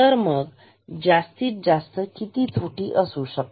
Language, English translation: Marathi, So, what can be the maximum error then